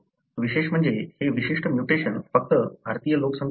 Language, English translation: Marathi, What is interesting is that this particular mutation is present only in the Indian population